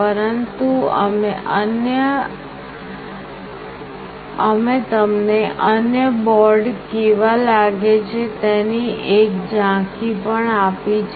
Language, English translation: Gujarati, But we have also given you an overview of how other board looks like